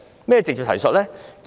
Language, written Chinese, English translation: Cantonese, 何謂"直接提述"呢？, What is meant by direct reference?